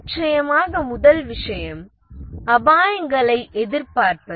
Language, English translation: Tamil, The first thing of course is to anticipate the risks